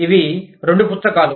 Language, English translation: Telugu, These, two books